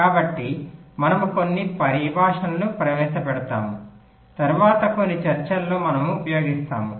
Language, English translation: Telugu, so so we introduce some terminologies which we shall be using in some discussions later